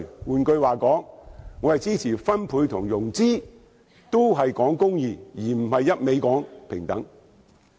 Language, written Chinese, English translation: Cantonese, 換言之，我支持分配和融資，也是講求公義，而不是一味講求平等。, In other words I support distribution and financing which also emphasize justice as opposed to seeking nothing but equality